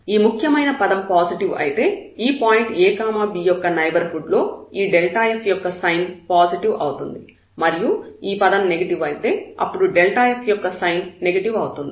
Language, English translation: Telugu, If it is positive then the sign of this delta have in the neighborhood of this ab point will be positive, if this leading term is negative then the sign will be negative